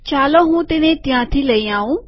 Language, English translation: Gujarati, Let me bring it from there